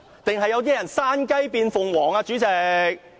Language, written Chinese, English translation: Cantonese, 還是有人想山雞變鳳凰呢，主席？, Or did someone want to turn from a pheasant into a phoenix President?